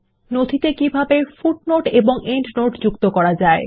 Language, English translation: Bengali, How to insert footers in documents